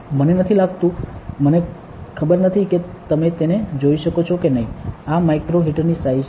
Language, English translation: Gujarati, I do not think, I do not know if you can see it, this is the size of the micro heater ok